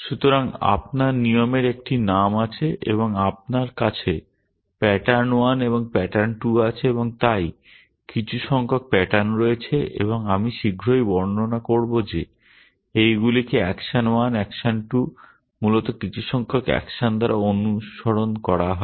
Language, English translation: Bengali, So, you have a rule name and you have pattern 1 and pattern 2 and so on, some number of patterns and I will shortly describe what these are followed by action 1, action 2 some number of action essentially